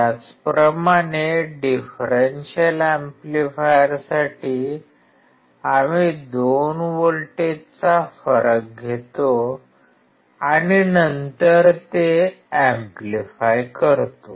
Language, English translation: Marathi, Similarly, for differential amplifier, we take the difference of the two voltages and then amplify it